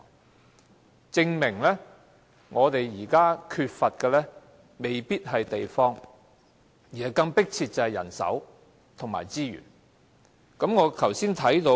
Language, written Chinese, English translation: Cantonese, 由此證明，我們現在所缺乏的未必是地方，人手和資源有更迫切需要。, It shows that what we lack now may not be space rather there is an even more urgent need for manpower and resources